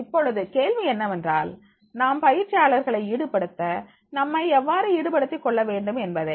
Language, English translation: Tamil, Now the question was that is the how should we get involved to get trainees to be involved